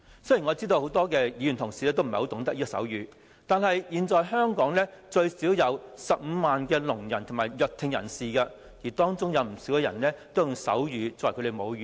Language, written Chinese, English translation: Cantonese, 雖然我知道很多議員同事也不懂得手語，但現時香港最少有15萬聾人及弱聽人士，而當中不少人也以手語作為母語。, Although I know that many Members do not know sign language there are at least 150 000 deaf and hearing impaired persons in Hong Kong at present and a lot of them take sign language as their mother language